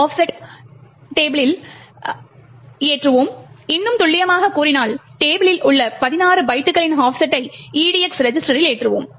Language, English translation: Tamil, Then we load an offset into the table more precisely an offset of 16 bytes into this register EDX